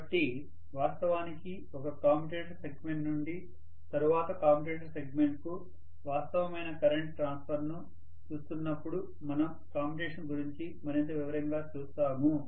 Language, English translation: Telugu, So, we will look at commutation in a greater detail when we are actually looking at the actual current transfer from one commutator segment to the next commutator segment and so on and so forth will be looking at it in greater detail